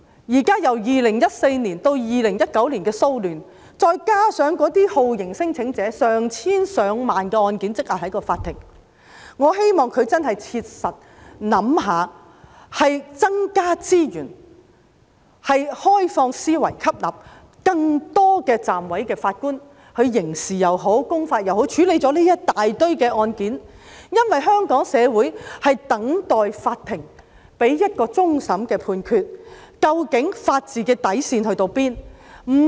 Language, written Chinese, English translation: Cantonese, 由2014年至2019年的騷亂案件，再加上有成千上萬宗酷刑聲請者案件積壓在法庭，我希望司法機構真的切實想想，必須增加資源及以開放思維吸納更多暫委法官，以處理這一大堆案件，因為香港社會正等待法庭給予一個終審判決，究竟法治的底線在哪裏？, Apart from the social unrest cases from 2014 to 2019 the courts also have to deal with a backlog of tens of thousands of torture claims . I hope that the Judiciary can really consider with an open mindset how to practically increase resources and appoint more deputy judges and judicial officers in order to deal with this huge backlog of cases . It is because the Hong Kong society is waiting for a final judgment from the court which can help illustrate where the bottom line of the rule of law lies